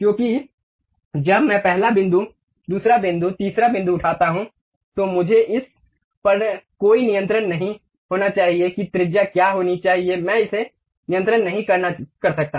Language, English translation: Hindi, Because when I pick first point, second point, third point, I do not have any control on what should be the radius I cannot control it